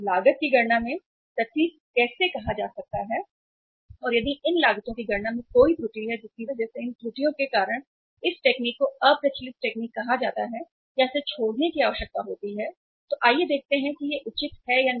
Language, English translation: Hindi, How it is possible to be say say precise in calculating the cost and if there is an error in calculating these costs because of which because of these errors this technique is called as obsolete technique or need to be abandoned then let us see whether it is justified or not